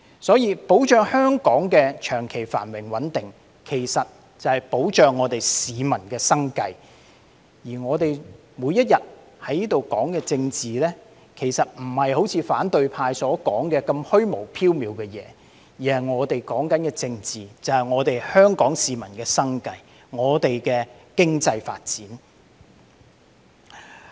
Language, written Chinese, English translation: Cantonese, 所以，保障香港的長期繁榮穩定，其實便是保障香港市民的生計，而我們每天在這裏說的政治，其實並非如反對派所說般那麼虛無縹緲的東西，我們在說的政治，即是香港市民的生計，香港的經濟發展。, Therefore safeguarding the long - term prosperity and stability of Hong Kong is actually safeguarding the livelihood of Hong Kong people and the politics that we are talking about here every day is actually not something as illusory or abstract as described by the opposition camp . The politics that we are talking about is the livelihood of Hong Kong people and the economic development of Hong Kong